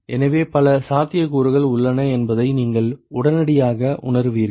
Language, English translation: Tamil, So, this immediately you realize that there are several possibilities